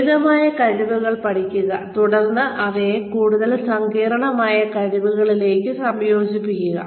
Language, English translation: Malayalam, Teach simpler skills, and then integrate them, into more complex skills